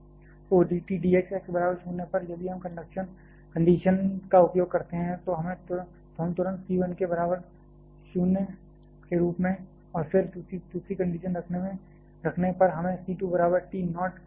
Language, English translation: Hindi, So, d T d x at x equal to 0, if we use the condition then we immediately as c 1 equal to 0, and then putting the second condition we get c 2 equal to T naught